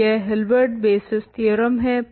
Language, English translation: Hindi, So, this is the Hilbert basis theorem